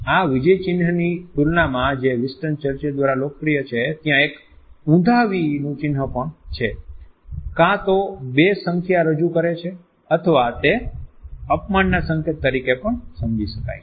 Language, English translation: Gujarati, In comparison to this victory sign which is been popularized by Winston Churchill, there is an inverted v sign also which may either convey two in number or it can also be constituted as a gesture of insult